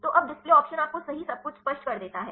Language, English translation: Hindi, So, now the display option you just clear it clear of everything right